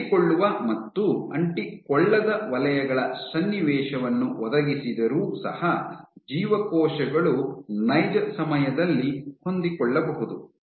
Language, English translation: Kannada, So, even if you provide the circumstance of adherent and non adherent zones mix together the cells can adapt that to it in real time